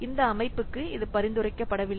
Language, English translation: Tamil, So this is not recommended for this system